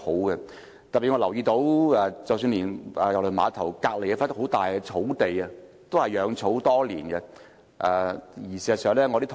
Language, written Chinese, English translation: Cantonese, 我特別留意到，郵輪碼頭旁邊的一幅大型草地，多年來雜草叢生。, I am very concerned about the usage of a large piece of grassland near KTCT . It has been overgrown with weeds for years